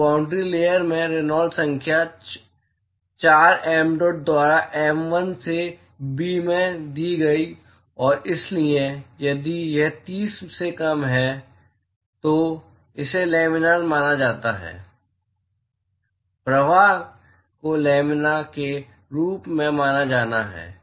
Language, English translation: Hindi, So, is the Reynolds number in the boundary layer is given by 4 mdot by mu l into b and so, if this is less than 30, then it is consider to be laminar; the flow is to be consider as laminar